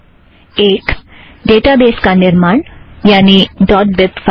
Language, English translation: Hindi, One, create the database, namely the .bib file